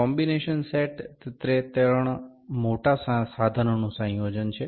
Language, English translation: Gujarati, Combination set is the combination of three major instruments